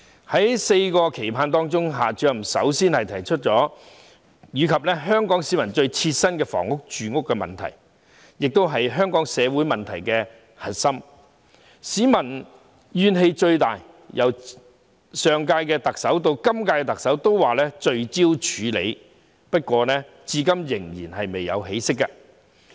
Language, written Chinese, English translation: Cantonese, 在"四個期盼"當中，夏主任首先提出香港市民最切身的住屋問題，這亦是香港社會問題的核心，所引起的民怨最大，更是由上屆特首至今屆特首均提出要聚焦處理的事宜，不過至今依然未有起色。, Among the four expectations Director XIA firstly raised the housing problem which is the issue of most concern to the people of Hong Kong and the core of Hong Kongs social problems as well as the source of the greatest public discontent . Moreover it has been the focus of attention from the last Chief Executive to the incumbent Chief Executive . However there is still no improvement hitherto